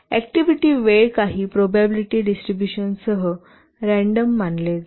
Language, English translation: Marathi, The activity times are assumed to be random with some probability distribution